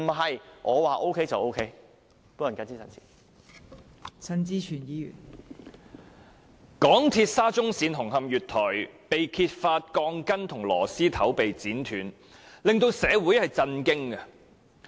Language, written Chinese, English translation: Cantonese, 香港鐵路有限公司沙中線紅磡站月台被揭發鋼筋和螺絲頭被剪斷事件，令社會震驚。, The revelation of the cutting of steel bars at a platform of Hung Hom Station of the Shatin to Central Link SCL of the MTR Corporation Limited MTRCL came as a shock to the community